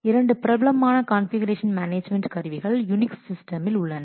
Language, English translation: Tamil, So, two popular configuration management tools on unique systems are there